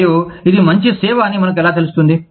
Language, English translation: Telugu, And, how do we know, that this is better service